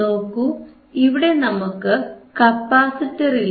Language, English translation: Malayalam, So, I have no capacitor here